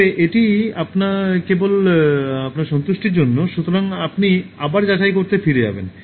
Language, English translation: Bengali, But that is just for your satisfaction, so you will go back to check again